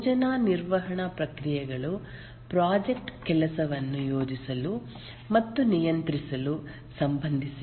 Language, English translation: Kannada, The project management processes are concerned with planning and controlling the work of the project